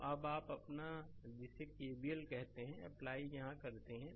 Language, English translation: Hindi, So now, you apply your what you call here that your KVL